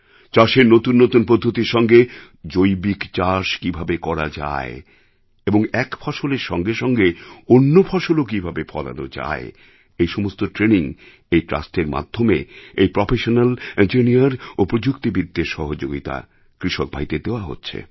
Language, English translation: Bengali, The training to inculcate organic farming while teaching latest agricultural techniques and how to grow more crops along with a single cash crop in the fields was imparted through the professional, engineers and technocrats associated with this trust started giving training to the farmers